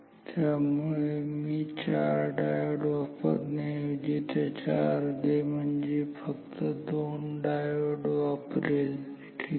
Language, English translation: Marathi, So, I am using doubts I mean half number of diodes instead of four diodes I am using two diodes ok, but